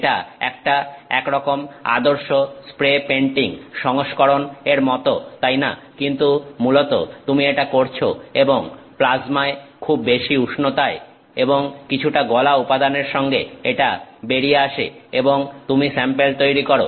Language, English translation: Bengali, It is sort of like a sophisticated version of spray painting ah, but basically you are doing this and in a plasma with very high temperatures and some molten material that is coming and you make the sample